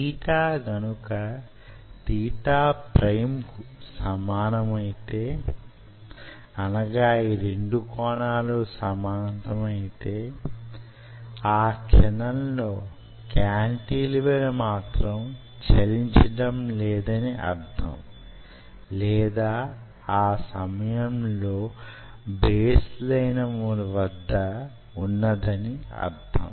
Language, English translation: Telugu, so if theta is equal to theta prime, it means this cantilever is not moving or at that particular instant it was at the baseline